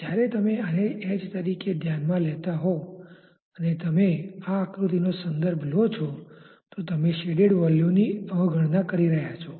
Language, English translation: Gujarati, When you are considering this as the h if you refer to such a figure you are neglecting the shaded volume